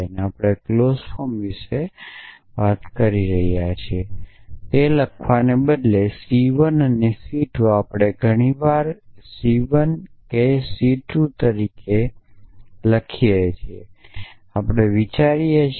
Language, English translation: Gujarati, So, we are talked about clause form also instead of writing it C 1 and C 2 we often write it as C 1 comma C 2 comma C k